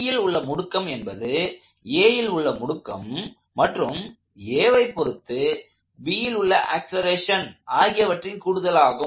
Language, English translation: Tamil, The acceleration of C is the acceleration of B plus the acceleration of C as observed by B